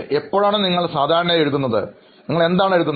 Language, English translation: Malayalam, When do you generally write and what do you write